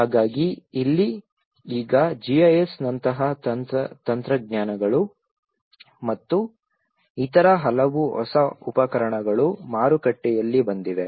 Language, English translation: Kannada, So here, now the technologies like GIS and many other new tools have come in the market